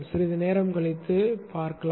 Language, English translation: Tamil, We will look at that a bit later